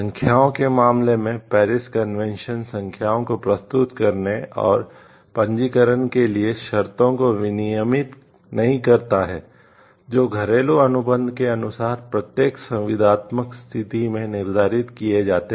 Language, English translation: Hindi, In case of marks the Paris convention does not regulate the conditions for filing and registration of marks, which are determined in each contracting state by domestic law